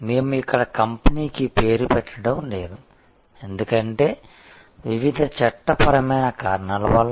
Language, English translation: Telugu, We are not naming the company here, because of various legal reasons